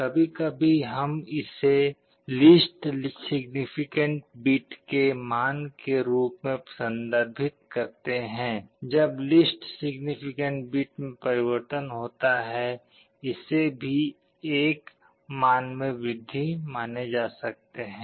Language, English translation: Hindi, Sometimes we refer to this as the weight of the least significant bit because, when the least significant bit changes that also means an increase of 1